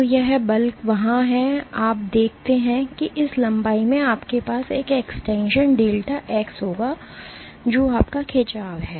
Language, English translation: Hindi, So, this force is there and you see that this length you will have an extension delta x is your stretch